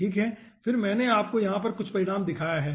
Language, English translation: Hindi, then i have shown you some result over here